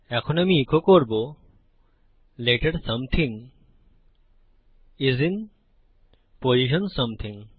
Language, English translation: Bengali, Now I will echo out Letter something is in position something